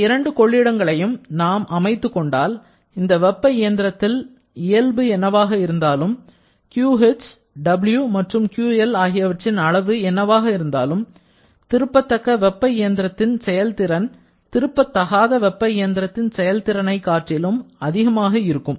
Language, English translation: Tamil, Then, it is saying that once we have fixed up these 2 reservoirs, then whatever may be the nature of this heat engine, whatever may be the magnitude of QH, W and QL, the efficiency of any reversible heat engine working between these 2 reservoirs will always be greater than any irreversible heat engine that is a reversible heat engine is going to give the maximum possible efficiency